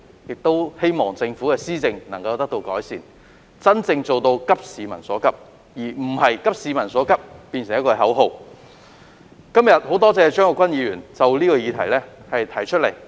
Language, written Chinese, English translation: Cantonese, 我們希望政府能夠改善施政，真正急市民所急，而非將"急市民所急"視為一句口號而已。, On our part we hope that the Government can improve its governance and truly share peoples urgent concern rather than treating sharing peoples urgent concern as a mere slogan